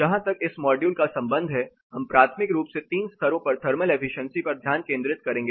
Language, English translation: Hindi, As far this module is concerned we will primarily focus on the thermal efficiency at 3 levels